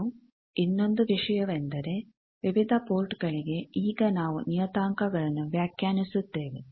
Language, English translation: Kannada, And another thing is that various ports, now we define parameters